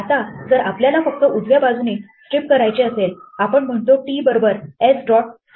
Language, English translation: Marathi, Now, if we want to just strip from the right we say t is equal to s dot rstrip